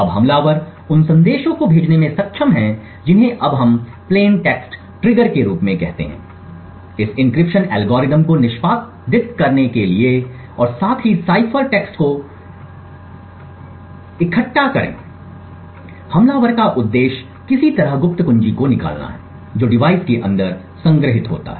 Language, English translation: Hindi, Now the attacker is able to send messages which we now call as plain text trigger this encryption algorithm to execute and also collect the cipher text the objective of the attacker is to somehow extract the secret key which is stored inside the device